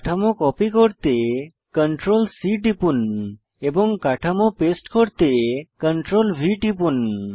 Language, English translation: Bengali, Press CTRL +C to copy the structure and Press CTRL + V to paste the structures